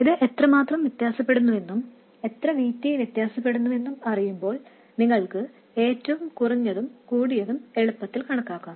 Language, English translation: Malayalam, I mean knowing how much this varies and how much VT varies, you can calculate the minimum and maximum quite easily